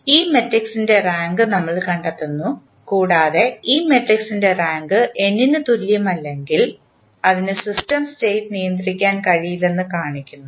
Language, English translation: Malayalam, Then we find out the rank of this matrix and if the rank of this matrix is not equal to n that shows that the System State are not controllable